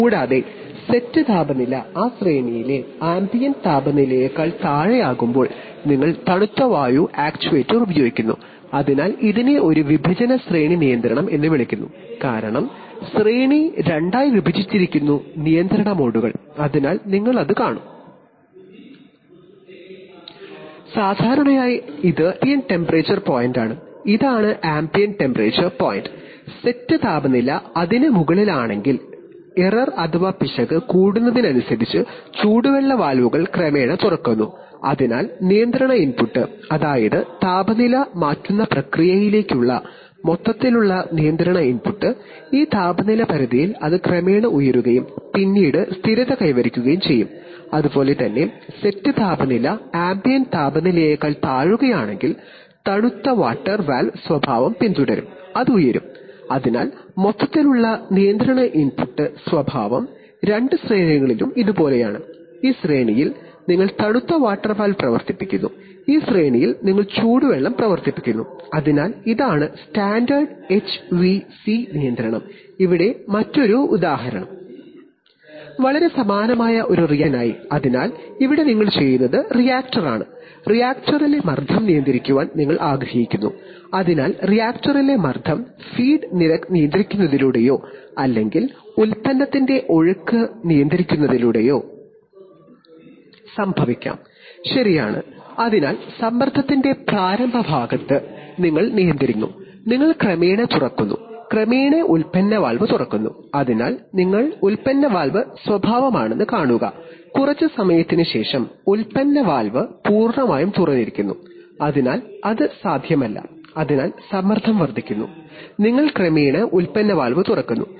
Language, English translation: Malayalam, Typically speaking this is the ambient temperature point, this is the ambient temperature point and if the set temperature is above it, then as the error increases the hot water valves gradually gets opened, so the, so the control input that is, the overall control input to the to the process which changes its temperature, in this temperature range it will gradually rise and then finally will become stable, similarly when the set temperature is below ambient temperature then the cold water valve characteristic will be followed and that will rise, so the overall control input characteristic is like this, over the two ranges, And in this range in this range you operate the cold water valve and in this range you operate the hot water so this is the standard HVAC control of spaces, here is another example which is For a reactor which is very similar, so here what you do is, the reactor, you want to control the pressure in the reactor, so the pressure in the reactor could be either caused by controlling the feed rate or by controlling the product outflow rate, right, so in the initial part of pressure, you control the, you gradually open the, you gradually open the product valve, so you see this is the product valve characteristic, after some time the product valve is fully open, so it cannot be, so the pressure is increasing, so you gradually open the product valve